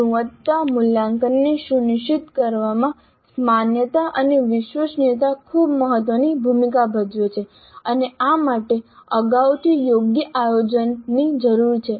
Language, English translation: Gujarati, So, this validity and reliability play a very important role in ensuring quality assessment and this requires fair amount of planning upfront